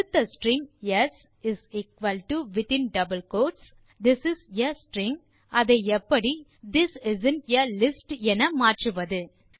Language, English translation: Tamil, Given a string s = this is a string, how will you change it to this isnt a list